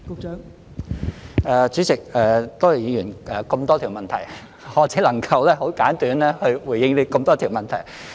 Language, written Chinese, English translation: Cantonese, 代理主席，多謝議員這麼多條問題，我只能夠很簡短地回應這麼多條問題。, Deputy President I thank the Member for raising so many questions . I can only respond to so many questions in a very brief manner